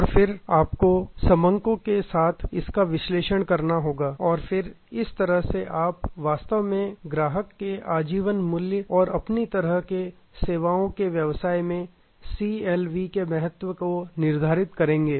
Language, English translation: Hindi, And then you have to analyze this with data and then that is how you will actually determine the customer life time value and the importance of CLV in your kind of services business